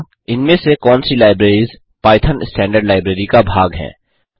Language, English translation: Hindi, Which among these libraries is part of python standard library